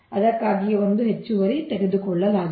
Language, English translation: Kannada, thats why one extra is taken, right